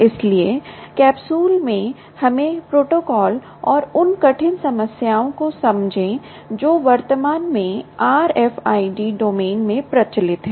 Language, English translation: Hindi, so so, in a capsule, lets quickly understand protocol and the hard problems that are currently prevalent ah in the r f i d domain